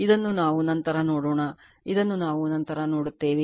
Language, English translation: Kannada, This we will see later this we will see later right